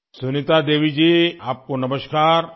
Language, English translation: Urdu, Sunita Devi ji, Namaskar